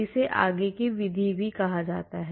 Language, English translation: Hindi, This is called a forward method